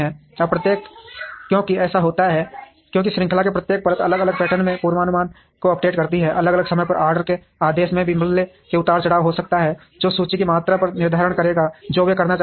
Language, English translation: Hindi, Now, each because this happens, because each layer in the chain updates the forecast in varying patterns, places orders at different times there could also be price fluctuations which would determine the amount of inventory they would wish to have